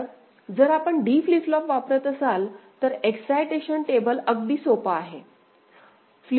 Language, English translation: Marathi, So, if you use D flip flop, then the excitation table is very simple right